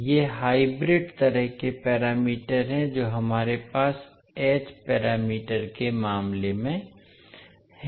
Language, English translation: Hindi, These are the hybrid kind of parameters which we have in case of h parameters